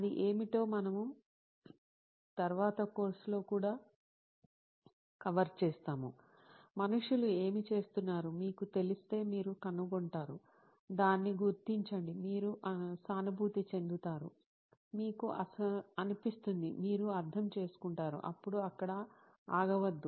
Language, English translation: Telugu, What it is we will cover later in the course as well, once you know what people are going through, you find out, figure it out, you empathise, you feel it, you understand it then do not stop there